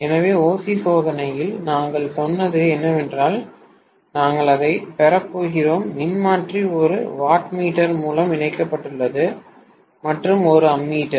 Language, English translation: Tamil, So, in OC test, what we said was that we are going to have the transformer connected through a wattmeter, right